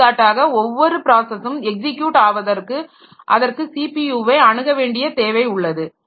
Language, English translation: Tamil, For example, for every process to execute it needs the access to the CPU